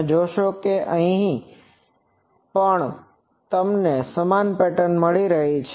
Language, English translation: Gujarati, You will see that here also you are getting the same pattern